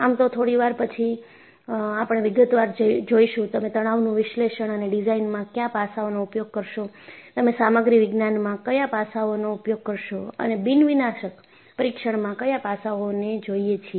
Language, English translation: Gujarati, And, in fact, a little while later, you will look at in detail, what aspects that you will do in Stress Analysis and Design, what aspects you will do in Material Science, and what aspects do we look for in the Non Destructive Testing